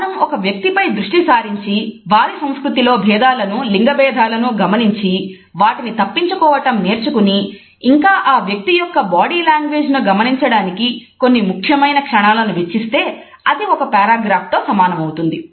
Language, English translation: Telugu, If we keep on looking at a person and look at the cultural differences, look at the gender stereotypes and learn to avoid them and also have a significant couple of minutes to watch the body language of a person it becomes an equivalent of paragraph